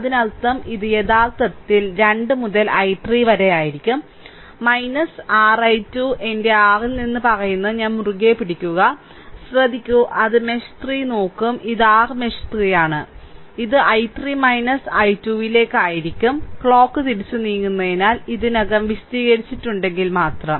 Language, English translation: Malayalam, So, it will be actually 2 into i 3 minus your i 2, right, just hold on I just I am telling from my your; what you call from my mouth, just listen, it will look at the mesh 3, this is your mesh 3, right, it will be 2 into i 3 minus i 2, just if you the already I have explained because I moving clock wise